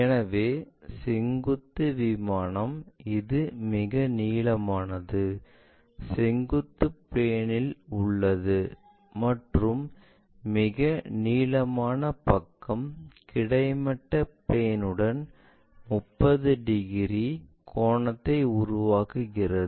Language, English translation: Tamil, So, the vertical plane is this the longest one, longest one is on the vertical plane in and the longest one is making some 30 degrees angle with the horizontal plane